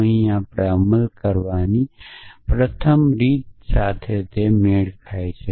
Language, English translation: Gujarati, And the way it is implemented here is that the first rule matches the that